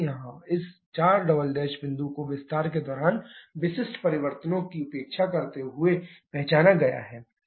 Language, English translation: Hindi, Here this 4 double prime this point has been identified neglecting the changes specific during expansion